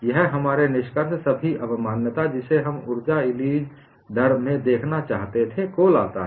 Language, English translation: Hindi, This brings to our conclusion, all the concept that we wanted to look at in an energy release rate